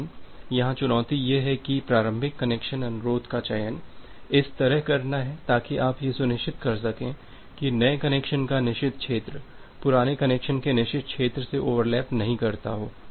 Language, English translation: Hindi, But, the challenge here is to select a initial connection request request in such a way, so that you can ensure that the forbidden region of a new connection does not get overlap from with the forbidden region of an older connection